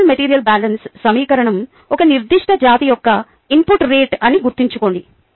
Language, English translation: Telugu, ok, recall that the basal material balance equation was the input rate of a particular species